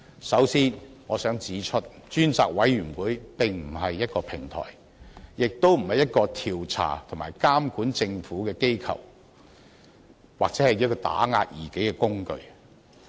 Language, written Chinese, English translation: Cantonese, 首先，我想指出，專責委員會並非一個平台，亦不是調查和監管政府的機構或打壓異己的工具。, First I would like to point out that a select committee is not a platform; it is not an authority for investigating or monitoring the Government nor is it a tool for suppressing dissenters